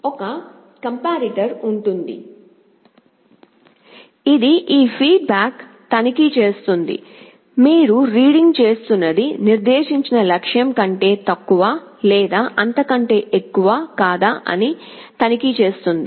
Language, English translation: Telugu, There will be a comparator, which will be checking whether this feedback, whatever you are reading is less than or greater than the set goal